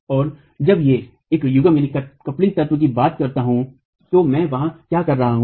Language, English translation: Hindi, And when I talk of a coupling element, what is that I am referring to